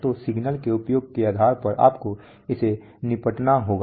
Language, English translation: Hindi, So depending on the usage of the signal you have to deal with it